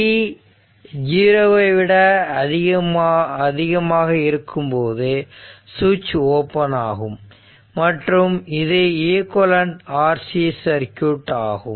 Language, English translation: Tamil, Now when t greater than 0 the switch is open and the equivalent rc circuit